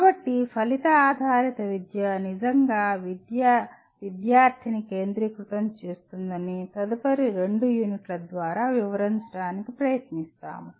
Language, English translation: Telugu, So we try to establish through the next maybe two units that outcome based education truly makes the education student centric